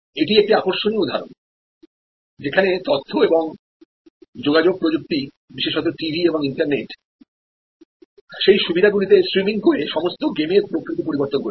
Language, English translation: Bengali, So, this is an interesting example, where information and communication technology particular TV and internet streaming at that facilities have change the nature of the game all together